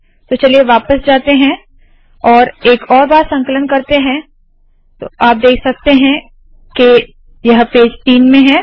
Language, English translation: Hindi, So lets go back and compile it once more so there you are, it is in page 3